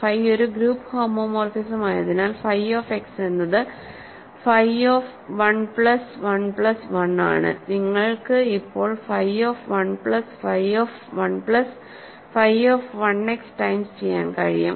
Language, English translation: Malayalam, So, because phi is a group homomorphism, phi of x is phi of 1 plus 1 plus 1 the and you can now do phi of 1 plus phi of 1 plus phi of 1 x times which is exactly this